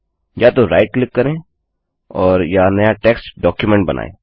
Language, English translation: Hindi, Either right click and create a new text document